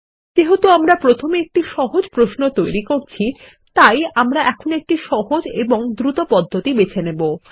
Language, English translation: Bengali, Since we are creating a simple query first, we will choose an easy and fast method